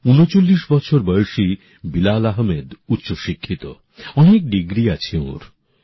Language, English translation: Bengali, 39 years old Bilal Ahmed ji is highly qualified, he has obtained many degrees